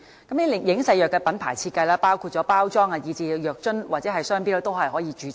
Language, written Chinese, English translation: Cantonese, 這些影射藥物的品牌設計，包括包裝、藥樽和商標，均可以註冊。, The brand design of these alluded drugs including their packaging bottles and trademarks can all be registered